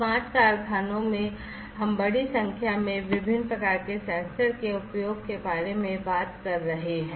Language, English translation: Hindi, And in typical factory smart factories we are talking about the use of large number of different variants of different different types of sensors